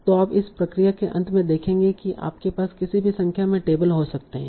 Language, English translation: Hindi, So you will see at the end of this process you can have any number of tables, right